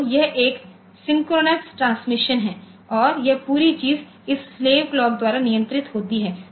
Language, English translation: Hindi, So, this is a synchronous transmission and this whole thing is controlled by this slave clock